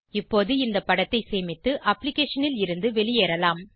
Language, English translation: Tamil, We can now save the image and exit the application